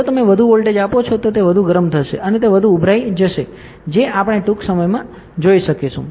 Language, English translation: Gujarati, If you give more voltage, it will get heated up more and it will bulge more that also we can see soon